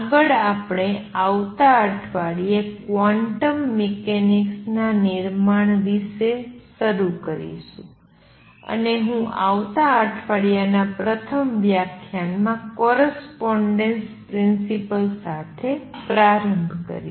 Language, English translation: Gujarati, Next, we are going to start the next week the build up to quantum mechanics, and I am going to start with correspondence principal in the first lecture next week